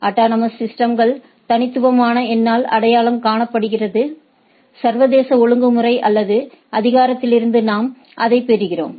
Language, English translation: Tamil, And autonomous systems identify is identified by the by a unique number, what we get from the international regulatory or authority